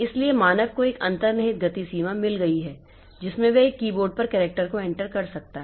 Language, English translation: Hindi, So, human being has got an inherent speed limitation in which he or she can enter, can place the characters on a keyboard